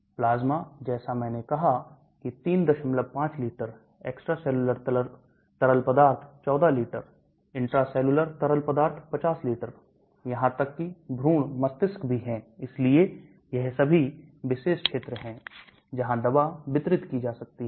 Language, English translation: Hindi, 5 liters, extracellular fluid 14 liters, intracellular fluid 50 liters, even foetus, brain so they are all special regions where the drug also can get distributed